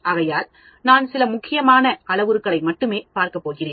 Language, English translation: Tamil, Or am I going to look at very important parameters only, not all the parameters